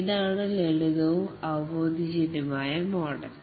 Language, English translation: Malayalam, This is the simplest and most intuitive model